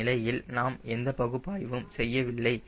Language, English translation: Tamil, we are not doing analysis